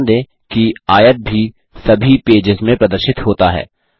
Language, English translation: Hindi, Notice, that the rectangle is also displayed in all the pages